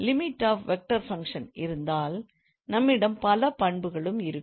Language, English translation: Tamil, So let's start limit of a vector function of a vector function, not functions